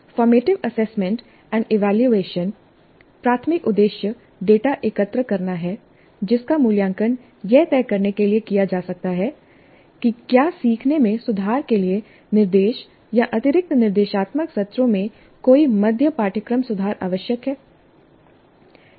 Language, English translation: Hindi, Formative assessment and evaluation primary purpose is to gather data that can be evaluated to decide if any mid course correction to instruction or additional instructional sessions are required to improve the learning